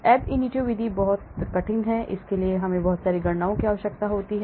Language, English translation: Hindi, the ab initio method is very, very rigorous, it requires lot of calculations